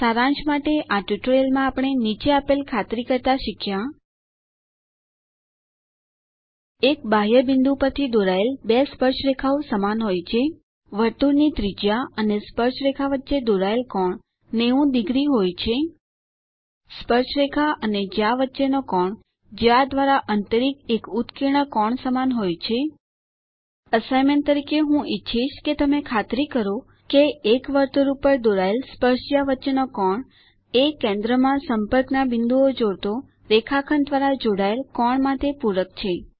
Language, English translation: Gujarati, Lets summarize,In this tutorial, we have learnt to verify that Two tangents drawn from an external point are equal Angle between a tangent and radius of a circle is 90^0 Angle between tangent and a chord is equal to inscribed angle subtended by the chord As an assignment I would like you to verify: Angle between tangents drawn to an circle, is supplementary to the angle subtended by the line segment joining the points of contact at the centre